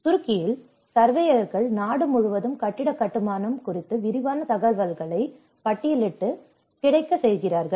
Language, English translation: Tamil, And in Turkey, surveyors catalogue and make available detailed information on building construction throughout the country